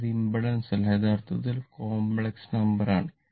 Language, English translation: Malayalam, It is not impedance; actually is a complex quantity